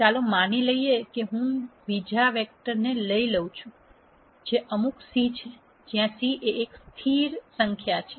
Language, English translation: Gujarati, Let us assume I take some other vector from beta which is some C beta, where C is a constant